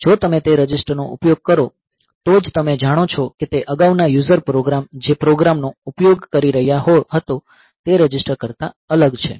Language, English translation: Gujarati, So, if you use those registers only then you know that they are different from whatever register the program the previous user program was you utilising